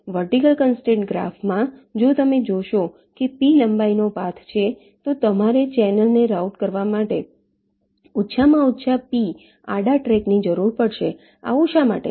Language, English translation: Gujarati, in a vertical constraint graph, if you see that there is a path of length p, then you will need at least p horizontal tracks to route the channel